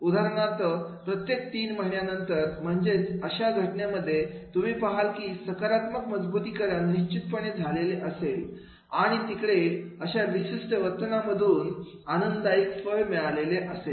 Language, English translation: Marathi, For example, after every three months, so therefore in that case definitely you will find that is the positive reinforcement is there and there will be the pleasable outcome resulting from a particular behavior